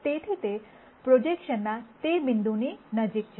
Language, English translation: Gujarati, So, that it is closest to that point of projection